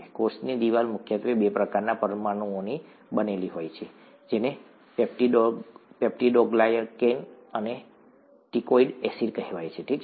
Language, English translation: Gujarati, As a cell wall is predominantly made up of two kinds of molecules called ‘peptidoglycan’ and ‘teichoic acids’, okay